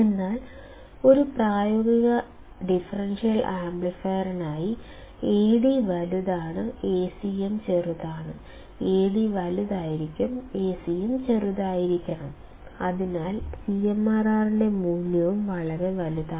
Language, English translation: Malayalam, But for a practical differential amplifier; Ad is large, Acm is small; this cm should be in subscript, Ad should be in subscript; and Ad should be large, Acm should be small hence the value of CMRR is also very large